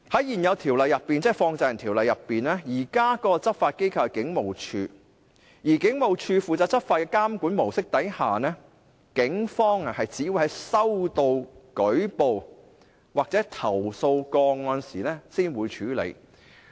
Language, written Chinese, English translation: Cantonese, 現時《條例》的執法機構是警務處，而在警務處負責執法的監管模式下，警方只會在收到舉報或投訴個案時才會處理。, The law enforcement agency under the Ordinance is currently the Police Force . According to the supervisory approach whereby the Police Force are responsible for law enforcement the Police will not take action until reports or complaints are received